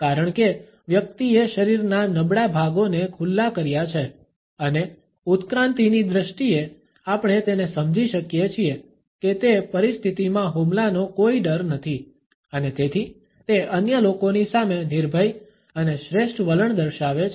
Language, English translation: Gujarati, Because the person has exposed the vulnerable body parts and in evolutionary terms we can understand it as having no fear of attack in that situation and therefore, it displays a fearless and superior attitude in front of the other people